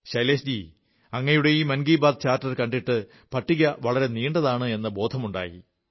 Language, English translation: Malayalam, Shailesh ji, you must have realized after going through this Mann Ki Baat Charter that the list is indeed long